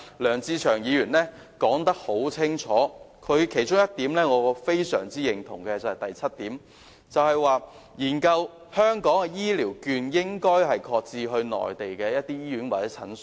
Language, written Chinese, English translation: Cantonese, 梁志祥議員已解釋得很清楚，而我也非常認同原議案中第七項建議，亦即"研究將香港醫療券的應用範圍擴展至內地主要醫院及診所"。, Mr LEUNG Che - cheung has already explained very clearly and his proposal in paragraph 7 of the original motion to conduct a study on extending the scope of application of Hong Kongs Health Care Vouchers to cover major hospitals and clinics on the Mainland is also very agreeable to me